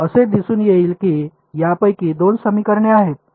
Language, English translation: Marathi, It will turn out that two of these equations are